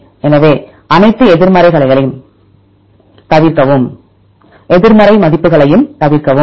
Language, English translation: Tamil, So, avoid all the negative values